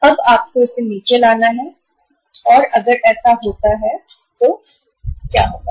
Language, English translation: Hindi, So now you have to bring it down and if it happens so what will happen